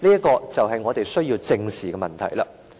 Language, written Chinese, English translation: Cantonese, 這便是我們需要正視的問題。, This is a question we need to face squarely